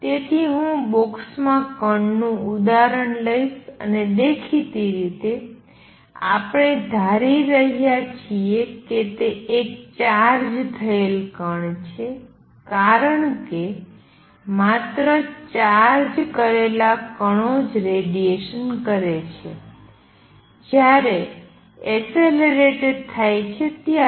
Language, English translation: Gujarati, So, I will take the example of particle in a box and; obviously, we are going to assume it is a charged particle because only charged particles radiate when accelerating